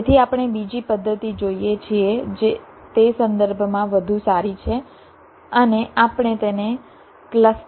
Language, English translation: Gujarati, ok, so we look at another method which is better in that respect, and we call it cluster growth